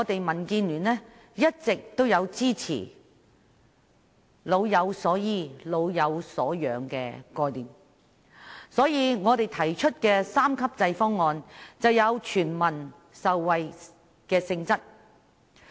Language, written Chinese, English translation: Cantonese, 民建聯一直支持"老有所依"和"老有所養"的概念，因此我們提出的三級制方案便有全民受惠的性質。, All along the Democratic Alliance for the Betterment and Progress of Hong Kong has supported the idea of providing support and security to elderly people in their twilight years . So we have put forth a three - tier proposal featuring an element of benefiting all people